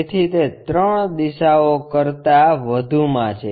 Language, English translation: Gujarati, So, it is more like 3 directions